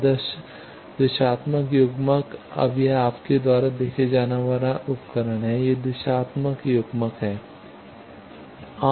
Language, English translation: Hindi, Ideal directional coupler this now this is instrument you see, this is the directional coupler